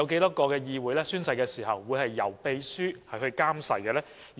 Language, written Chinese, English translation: Cantonese, 有多少議會在進行宣誓時由秘書監誓？, How many legislatures require their clerk to administer oaths at the oath - taking ceremony?